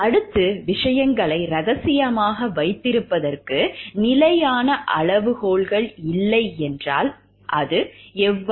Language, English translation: Tamil, Next it comes like if there is no fixed criteria for keeping things confidential